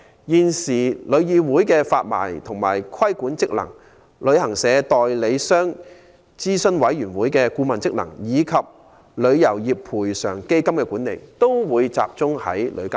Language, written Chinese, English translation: Cantonese, 現時旅議會的發牌及規管職能、旅行代理商諮詢委員會的顧問職能，以及旅遊業賠償基金的管理，均會隸屬旅監局的職能範圍內。, The licensing and regulatory functions of the existing TIC the advisory function of the Advisory Committee on Travel Agents and the management of the Travel Industry Compensation Fund will all be put under the purview of TIA